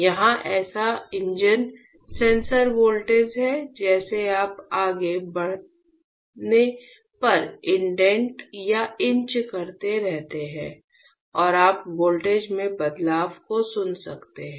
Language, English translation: Hindi, Here is the such engine sensor voltage as you keep on indenting or inch when you go further and you can listen the change in the voltage